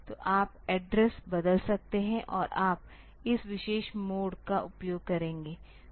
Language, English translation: Hindi, So, you can change the address and you will use this particular mode